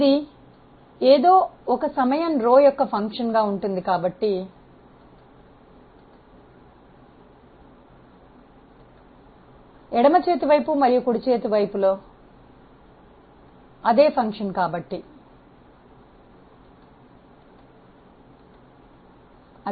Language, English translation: Telugu, It is a rho is a function of something else a time so, left hand side and right hand sides the same function so, they are cancelled out